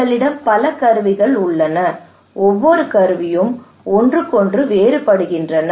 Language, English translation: Tamil, We have so many tools now these tools they vary from each other